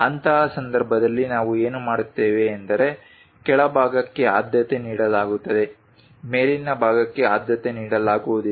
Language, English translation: Kannada, In that case what we will do is lower side is preferable upper side is not preferable